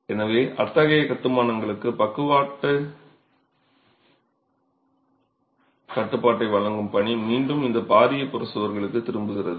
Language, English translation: Tamil, So, the work of providing lateral restraint to such constructions again comes back to these massive peripheral walls